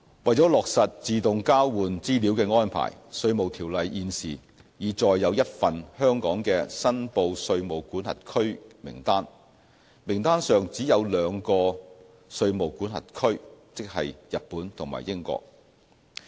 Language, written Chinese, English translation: Cantonese, 為落實自動交換資料的安排，《稅務條例》現時已載有一份香港的"申報稅務管轄區"名單，名單上只有兩個稅務管轄區，即日本和英國。, To implement the AEOI arrangement a list of reportable jurisdictions with only two jurisdictions that is Japan and the United Kingdom is included under the existing IRO